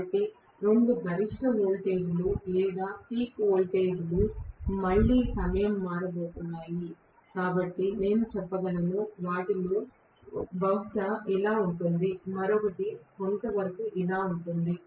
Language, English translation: Telugu, So, the two maximum voltages or peak voltages are going to be time shifted again, so I might say, one of them probably is like this, the other one is somewhat like this